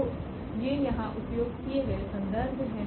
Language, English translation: Hindi, So, these are the reference used here